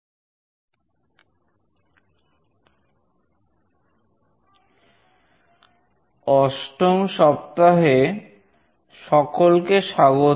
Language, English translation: Bengali, Welcome to week 8